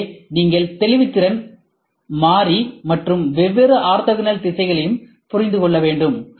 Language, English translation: Tamil, So, you should also understand variable resolution and different orthogonal directions